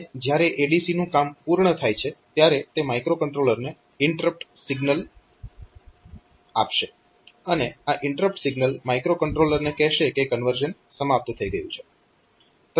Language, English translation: Gujarati, And when the ADC is done so, it will give an INTR signal to the to the microcontroller the interrupt signal to the microcontroller telling that the conversion is over